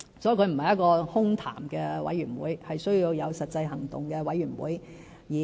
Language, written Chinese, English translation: Cantonese, 所以，這不是一個空談的委員會，而是需要有實際行動的委員會。, Therefore instead of being a mere talk shop it is a Forum that takes concrete actions